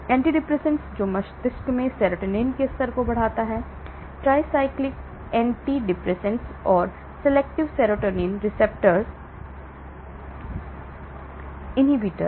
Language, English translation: Hindi, Antidepressants, which increases levels of serotonin in the brain, tricyclic antidepressants and selective serotonin reuptake inhibitors